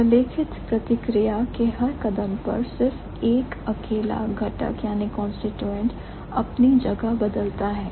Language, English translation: Hindi, Each step in the documented process there is just single constituent changing place